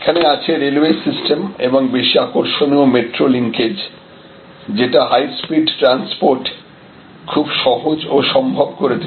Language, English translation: Bengali, And the railway system are more interestingly this metro linkages, which are making high speed transport quite easy and a possible across these